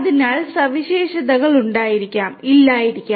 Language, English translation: Malayalam, So, features may be present, may not be present